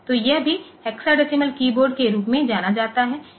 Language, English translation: Hindi, So, this is this is also known as hexadecimal keyboard and things like that